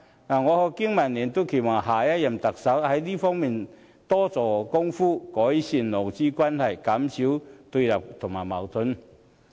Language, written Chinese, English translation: Cantonese, 我和經民聯都期待下任特首在這方面多做工夫，改善勞資關係，減少對立和矛盾。, BPA and I hope that the next Chief Executive will work harder in this regard so as to improve labour relations and reduce antagonism and conflicts